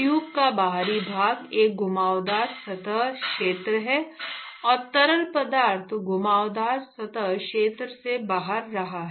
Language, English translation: Hindi, The external exterior of the tube is a curved surface area, and the fluid is flowing past the curved surface area